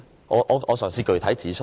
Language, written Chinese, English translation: Cantonese, 我嘗試具體指出。, I will try to give specifics